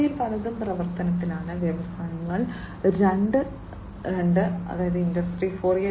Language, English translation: Malayalam, And many of these in are in the works, the industries are transforming two Industry 4